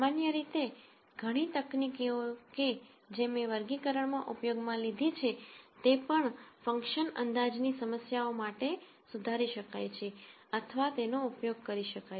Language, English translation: Gujarati, In general many of the techniques that I used in classification can also be modified or used for function approximation problems